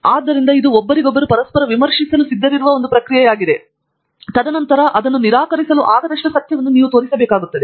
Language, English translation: Kannada, So, it is a process where actually the peers are willing to review each other and then hold something as true so long that it does not been disproved